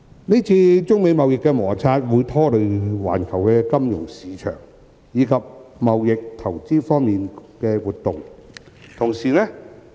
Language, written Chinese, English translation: Cantonese, 今次中美貿易摩擦會拖累環球金融市場，以及貿易投資活動。, The United States - China trade conflict will have implications on the global financial market as well as trade and investment activities